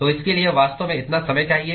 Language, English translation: Hindi, So, it really requires that much time